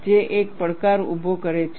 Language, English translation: Gujarati, That poses a challenge